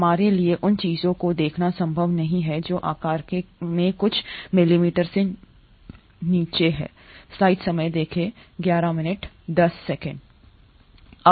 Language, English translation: Hindi, ItÕs not possible for us to see things which are below a few millimetres in size